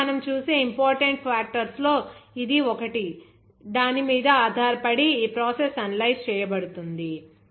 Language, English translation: Telugu, So, this is one of the important factors based on which you will see that the process will be analyzed